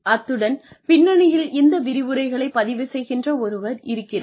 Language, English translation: Tamil, And, there is somebody at the backend, who is recording these lectures